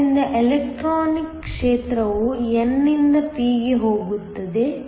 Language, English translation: Kannada, So, the electronic field goes from n to p